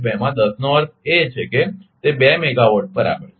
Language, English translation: Gujarati, 2 in 10 means it is two megawatt right